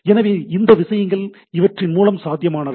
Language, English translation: Tamil, So, these are the things which are possible with the things